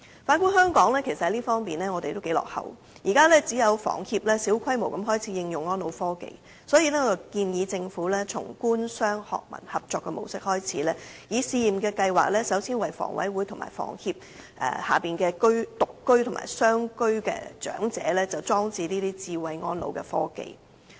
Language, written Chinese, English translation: Cantonese, 反觀香港，其實在這方面也相當落後，現時只有香港房屋協會小規模地開始應用安老科技，所以我建議政府從官、商、學、民合作模式開始，以試驗計劃首先為香港房屋委員會及房協轄下獨居或雙居長者的住所裝設智慧安老科技。, In the case of Hong Kong our development is actually rather backward in this respect . At present only the Hong Kong Housing Society HS has started to apply elderly care technology on a small scale . Therefore I suggest that the Government should as a start adopt a cooperative mode among the Government the business sector academia and non - governmental organizations NGOs to install smart elderly care system in one - person or two - person elderly households under the Hong Kong Housing Authority and HS on a trial basis